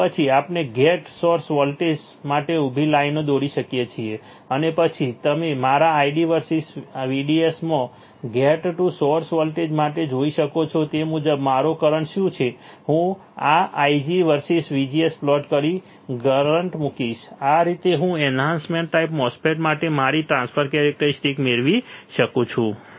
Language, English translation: Gujarati, And then we can draw vertical lines for the gate source voltage and then you can see for gate to source voltage in my ID versus VDS, what is my current according to that I will put the current in my I g versus VGS plot this is how I derive my transfer characteristics for the enhancement type MOSFET